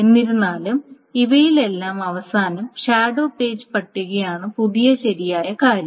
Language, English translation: Malayalam, However, at the end of all of these things, the shadow page table is the new, is the new correct thing